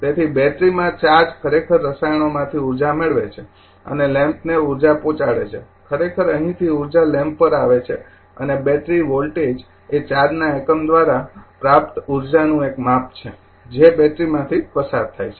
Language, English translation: Gujarati, So, the charge actually gains energy from the chemicals and your in the battery and delivers energy to the lamp the actually the from here actually energy is coming to the lamp right and the battery voltage is a measure of the energy gained by unit of charge as if moves through the battery